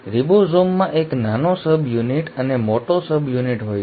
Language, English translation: Gujarati, Ribosome has a small subunit and a large subunit